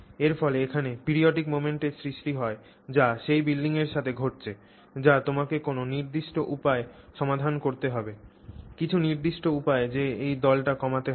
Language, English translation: Bengali, So, again there is some periodic movement that is happening to that building that you have to handle in some particular way and tone it down in some particular way